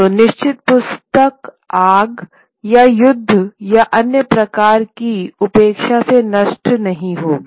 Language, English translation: Hindi, So certain book will not get destroyed by fire or war or other kinds of neglect